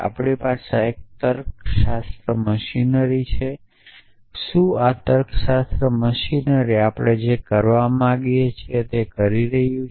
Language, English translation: Gujarati, We have a logic machinery is this logic machinery doing what we want us want it to do